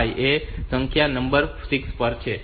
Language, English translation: Gujarati, 5 is a bit number 6; so 7